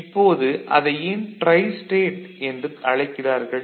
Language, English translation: Tamil, Now why it is called tristate